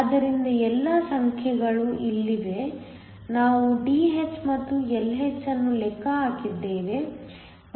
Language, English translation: Kannada, So, all the numbers are here we calculated Dh and Lh